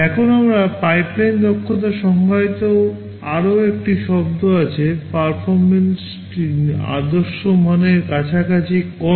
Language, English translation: Bengali, Now, there is another term we define called pipeline efficiency; how much is the performance close to the ideal value